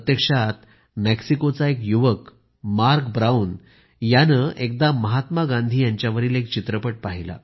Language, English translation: Marathi, In fact a young person of Oaxaca, Mark Brown once watched a movie on Mahatma Gandhi